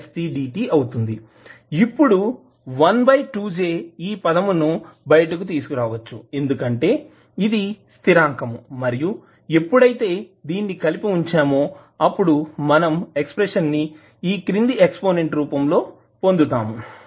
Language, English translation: Telugu, Now, 1 upon 2 j you can take it out because it is constant and when you club, you will get the expression in the form of exponent